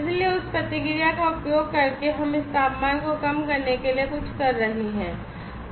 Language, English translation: Hindi, So, using that feedback we are do something to reduce this temperature this part of our research